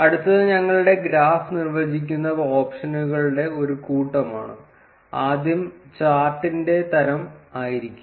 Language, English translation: Malayalam, Next is the set of options that define our graph; first would be the type of the chart